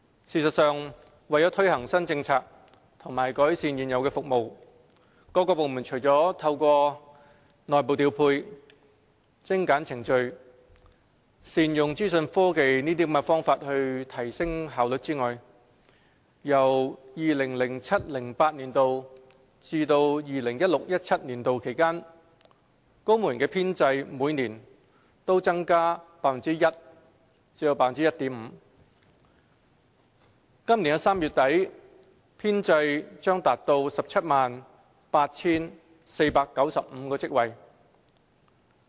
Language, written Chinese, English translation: Cantonese, 事實上，為推行新政策和改善現有服務，各部門除了透過內部調配、精簡程序、善用資訊科技等方法提升效率外，在 2007-2008 年度至 2016-2017 年度期間，公務員編制每年均增加 1% 至 1.5%， 本年3月底編制將達 178,495 個職位。, In fact in order to implement new policies and improve existing services various departments have enhanced their efficiency through internal deployment streamlining procedures capitalizing on information technology and so on . Moreover the civil service establishment has been expanded by 1 % to 1.5 % per annum between 2007 - 2008 and 2016 - 2017 with the number of posts reaching 178 495 by the end of March this year